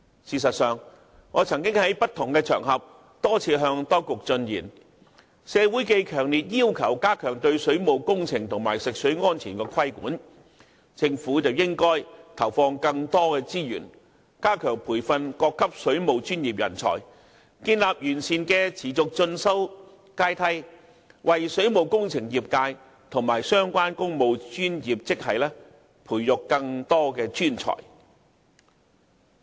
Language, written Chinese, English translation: Cantonese, 事實上，我曾於不同場合多次向當局進言：鑒於社會強烈要求加強對水務工程及食水安全的規管，政府應投放更多資源，加強培訓各級水務專業人才，建立完善的持續進修階梯，為水務工程業界及相關工務專業職系培育更多專才。, Actually I have offered my advice to the Government on various occasions Given the strong call from the society that the regulation on waterworks and safety of drinking water be stepped up the Government should put in more resources to enhance training for waterworks professionals at all levels while establishing a comprehensive ladder for continuing education so as to nurture more professionals for the engineering sector and technical talent for relevant types of technical posts